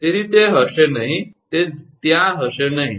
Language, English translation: Gujarati, So, it will be not it will not be there